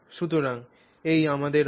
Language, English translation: Bengali, So, so this is what we have